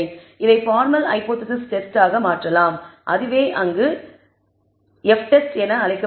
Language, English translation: Tamil, This can be converted into hypothesis test formal hypothesis test and that is what is called the F test